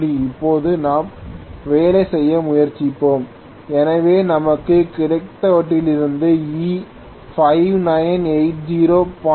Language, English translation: Tamil, Now let us try to work out, so from whatever we got we can say E is 5980, delta is 5